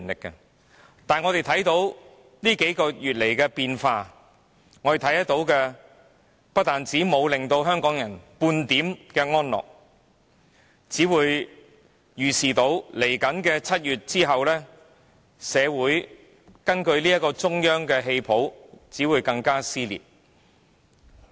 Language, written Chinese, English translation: Cantonese, 不過，過去數個月的變化不但無法令香港人得到半點安樂，更令他們預見在7月後，社會根據中央的戲譜只會更為撕裂。, However the changes in the past several months has not only failed to relieve Hong Kong peoples worries but also forecast that the dissension of the society will aggravate after July as the script of the Central Government proceeds